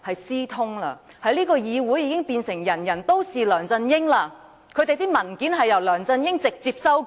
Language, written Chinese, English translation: Cantonese, 這個議會已變成"人人都是梁振英"，因為他們的文件由梁振英直接修改。, In this Council everyone has become LEUNG Chun - ying as their documents are directly amended by LEUNG Chun - ying